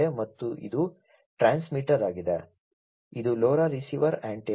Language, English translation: Kannada, And this is the transmitter, this is the antenna of the LoRa receiver, right